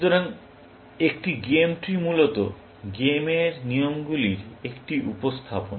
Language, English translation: Bengali, So, a game tree is basically, a representation of the rules of the game